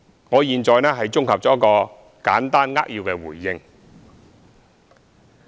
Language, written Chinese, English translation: Cantonese, 我現在綜合作一個簡單扼要的回應。, I am going to give a concise consolidated response in respect of these issues